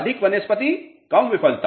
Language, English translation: Hindi, More vegetation less